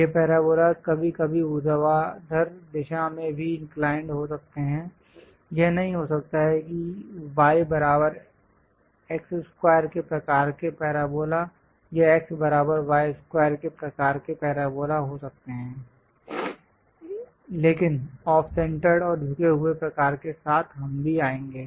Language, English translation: Hindi, These parabolas sometimes might be inclined on the vertical direction also; it may not be the y is equal to x square kind of parabolas or x is equal to y square kind of parabolas, but with off centred and tilted kind of parabolas also we will come across